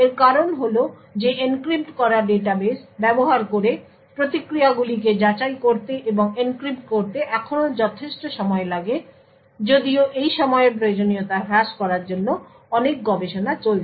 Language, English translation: Bengali, The reason being that it takes still considerable amount of time to actually validate and enncrypt responses using an encrypted database although a lot of research is actually taking place in order to reduce this time requirements